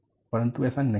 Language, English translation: Hindi, This is not so